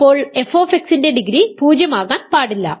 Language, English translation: Malayalam, So, f x cannot be degree 0